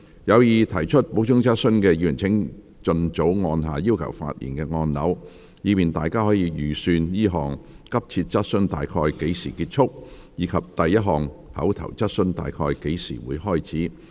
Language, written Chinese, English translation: Cantonese, 有意提出補充質詢的議員請盡早按下"要求發言"按鈕，以便大家可預算這項急切質詢大約何時結束，以及第一項口頭質詢大約何時開始。, Members who wish to ask supplementary questions please press the Request to speak button as early as possible so that we can estimate when the urgent questions will end and oral question 1 will start